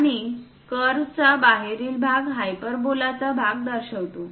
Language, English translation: Marathi, And the exterior of the curve represents part of the hyperbola